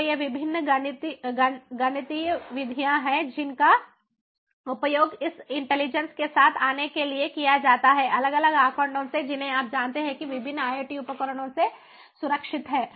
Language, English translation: Hindi, so these are the different mathematical methods that are used in order to come up with these intelligence from the different data that are, ah, you know, that are secured from the different iot devices